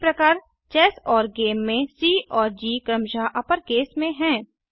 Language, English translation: Hindi, Similarly C and G of ChessGame respectively are in uppercase